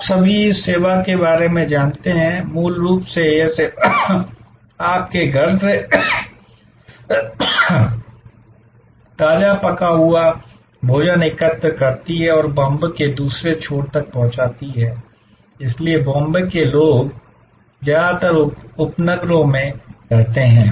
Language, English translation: Hindi, All of you know about this service, basically this service collects freshly cooked lunch from your home and delivers to the other end of Bombay, so people in Bombay mostly live in the suburbs